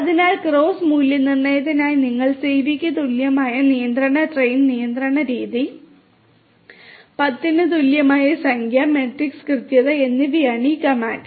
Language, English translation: Malayalam, So, for cross validation you know this is this is the command that you use control train control method equal to cv, number equal to 10 and the metric is accuracy